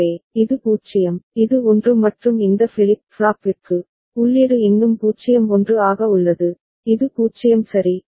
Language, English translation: Tamil, So, this is 0, this is 1 and for this flip flop, the input is still 0 1 for which this is 0 ok